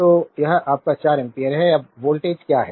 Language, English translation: Hindi, So, this is your 4 ampere, now what is the voltage